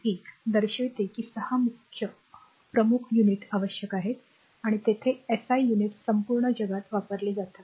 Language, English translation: Marathi, 1 it shows the 6 principal units you needs and there symbols the SI units are use through the throughout the world right